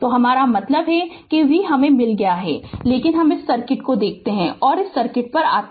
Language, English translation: Hindi, So, I mean V we have got, but look at the circuit come to the circuit ah come to the circuit